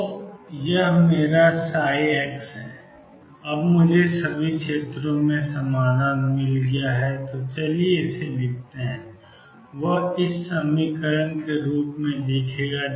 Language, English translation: Hindi, So this is my psi x, now I have found the solution in all regions so let us write it